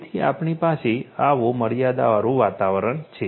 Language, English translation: Gujarati, So, we have such a constant environment